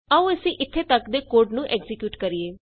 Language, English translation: Punjabi, Now lets execute the code till here